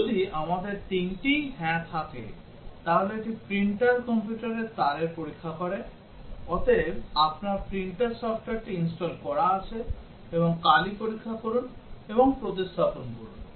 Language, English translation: Bengali, If we have all three of them, yes, then it check the printer computer cable, hence your printer software is installed and check and replace ink